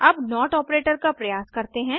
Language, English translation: Hindi, Lets try out the not operator